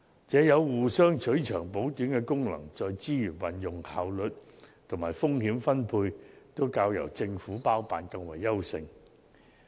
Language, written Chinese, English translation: Cantonese, 這有互相取長補短的功能，在資源運用、效率及風險分配方面均較由政府包辦更為優勢。, This approach seeks to complement each others strengths and compensate for each others weaknesses and performs better in terms of resources utilization efficiency and risk allocation than projects wholly undertaken by the Government